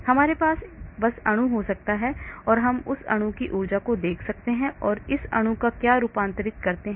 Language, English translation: Hindi, I may have just the molecule and I may look at the energy of this molecule and what conformation this molecule takes place